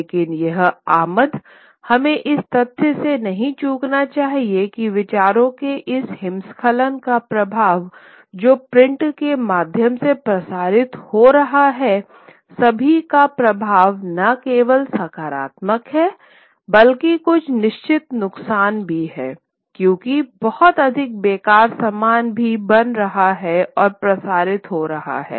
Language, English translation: Hindi, But this influx of, we should not lose sight of the fact that this influx of this avalanche of ideas that are getting circulated through print the effect of all of it is not only positive but there are certain pitfalls as well because a lot of spurious stuff is also getting created and getting circulated